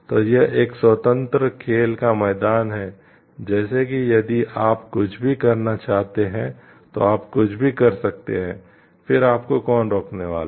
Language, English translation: Hindi, So, it is a like it is a free playing ground like if you want to do anything you can do anything then who is going to stop you